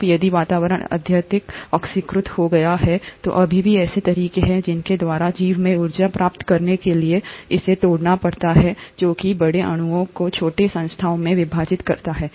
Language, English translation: Hindi, Now, if the atmosphere has become highly oxidized, there are still ways by which the organism has to derive energy by breaking down it's larger molecules into smaller entities